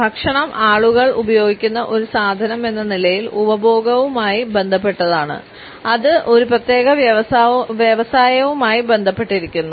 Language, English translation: Malayalam, Food as a commodity is related to the consumption by people as well as it is associated with a particular industry